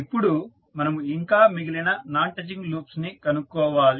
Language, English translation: Telugu, Now, next we need to find out the other non touching loops